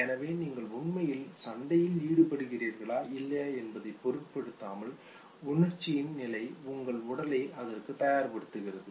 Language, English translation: Tamil, So irrespective of whether you actually engage in the real fight or not, the state of emotion prepares your body for it okay